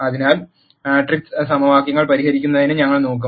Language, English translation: Malayalam, So, we will look at solving matrix equations